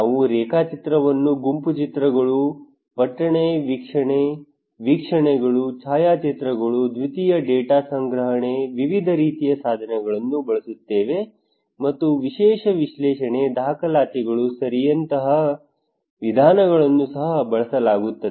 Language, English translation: Kannada, We use different kind of tools like mapping, group discussions, town watching, observations, photographs, secondary data collection techniques and methods were also used like content analysis, documentations okay